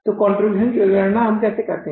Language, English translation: Hindi, So how we calculate the contribution